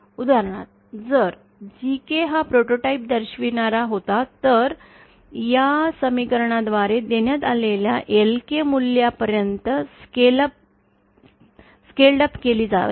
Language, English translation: Marathi, For example, if GK was the prototype inductance, then it should be scaled up to a value of LKdash given by this equation